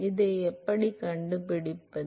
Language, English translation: Tamil, How do we find this